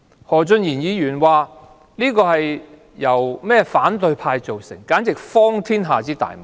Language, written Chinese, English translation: Cantonese, 何俊賢議員說，這是由反對派造成，這簡直是荒天下之大謬。, According to Mr Steven HO this is caused by the opposition camp . This is the most ridiculous thing I have ever heard